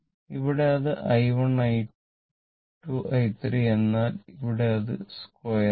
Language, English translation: Malayalam, Here it is i 1, i 2, i 3 for this is square because this is a square right